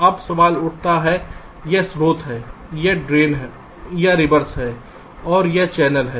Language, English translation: Hindi, now the question arises: this is source, this is drain, or the reverse, and this is the channel